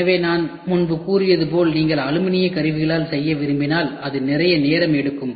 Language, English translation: Tamil, So, if you want to do by aluminium tools as I told earlier it is going to take lot of lead time